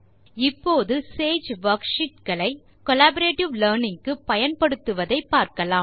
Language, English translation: Tamil, Now we shall look at how to use SAGE worksheets for collaborative learning